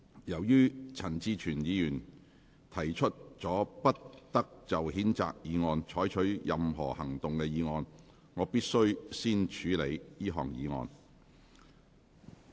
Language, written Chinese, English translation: Cantonese, 由於陳志全議員提出了不得就譴責議案再採取任何行動的議案，我必須先處理這項議案。, As Mr CHAN Chi - chuen has moved the motion that no further action shall be taken on the censure motion I must deal with this motion first